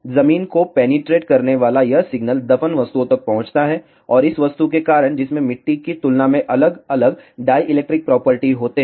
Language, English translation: Hindi, This signal penetrating the ground reaches the buried objects and because of this object, which has different dielectric properties compare to the soil